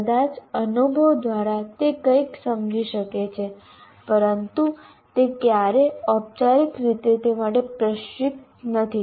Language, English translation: Gujarati, Some of those experiences, maybe through experience he may understand something, but is never formally trained in that